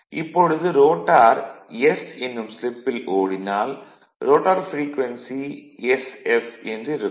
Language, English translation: Tamil, Now, when the rotor running at slip s at that time its frequency being sf frequency is changing